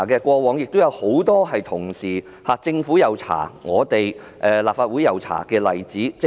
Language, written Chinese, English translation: Cantonese, 過往亦有很多政府及立法會同步調查的例子。, There were many past examples of the Government and the Legislative Council conducting inquiries in parallel